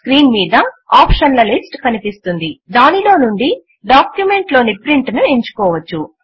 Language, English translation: Telugu, A list of option appears on the screen from where you can select and print in the document